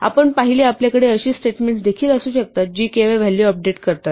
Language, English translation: Marathi, And as we saw, you can also have statements which merely update a value